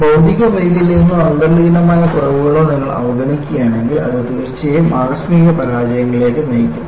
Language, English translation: Malayalam, And obviously, if you ignore the presence of material defects or inherent flaws, it will definitely lead to spectacular failures